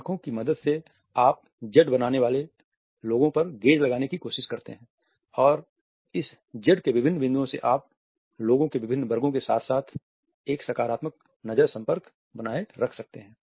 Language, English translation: Hindi, With the help of the eyes you try to gaze at the people making a Z and different points of this Z would allow you to maintain a positive eye contact with different sections of the people